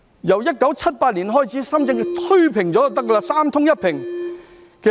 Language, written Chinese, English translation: Cantonese, 由1978年開始，把深圳推平了便行，達到"三通一平"。, They have done so by flattening Shenzhen since 1978 to achieve access to water supply electricity and roads as well as land levelling